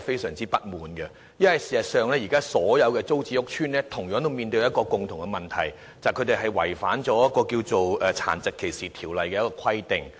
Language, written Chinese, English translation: Cantonese, 事實上，現時所有租置屋邨均有同樣問題，便是違反了《殘疾歧視條例》的規定。, As a matter of fact all TPS estates have the same problem that is they are all in breach of the Ordinance